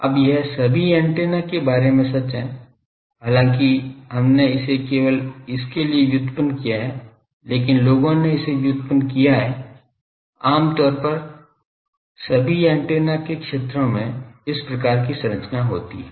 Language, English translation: Hindi, Now, this is true of all the antennas though we have derived it only for these, but people have derived it generally that far fields of all the antennas have this type of structure